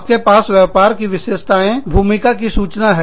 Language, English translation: Hindi, You have, business characteristics, role information